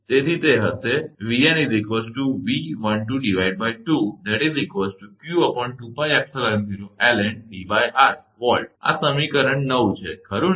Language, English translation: Gujarati, So, this is actually equation 15